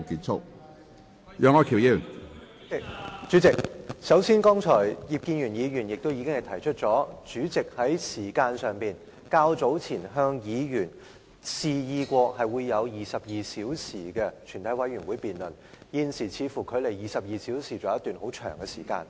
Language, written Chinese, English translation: Cantonese, 主席，首先，正如葉建源議員剛才提出，主席較早前曾表示，全體委員會將有22小時審議《條例草案》，現時距離22小時的界線尚有很長時間。, Chairman first of all as Mr IP Kin - yuen pointed out just now you stated earlier that there would be 22 hours for examination of the Bill in the committee of whole Council . We are now still a long way from that 22 - hour deadline